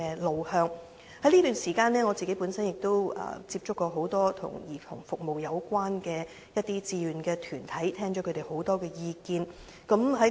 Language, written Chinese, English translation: Cantonese, 在這段時間內，我亦曾接觸多個與兒童服務有關的志願團體，聽取了很多意見。, During this period I have contacted various voluntary organizations engaged in services for children and listened to a lot of views